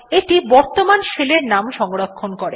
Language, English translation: Bengali, It stores the name of the current shell